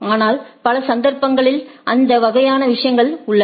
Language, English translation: Tamil, But, but in number of cases we do have those type of things